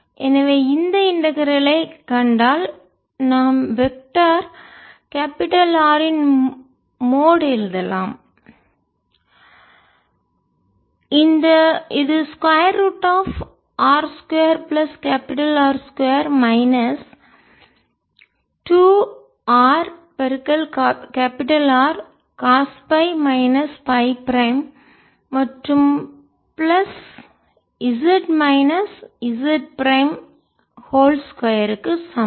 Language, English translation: Tamil, so if we see this integral, it can write vector mode of vector capital r, which is r square capital r square minus two r capital r, cos phi minus phi prime, z minus z prime